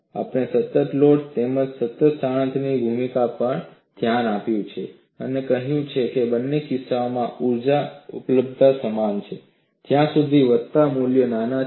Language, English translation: Gujarati, And we have looked at great length, the role of constant load as well as constant displacement, and said, in both the cases, the energy availability is same as long as the incremental values are small